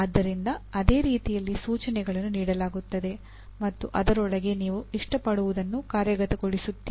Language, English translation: Kannada, So same way, instructions are given and you implement what you like within that